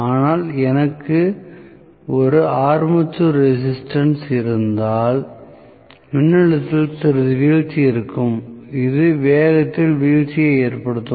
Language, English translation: Tamil, But because if I have an armature resistance there is going to be some drop in the voltage which will also cause a drop in the speed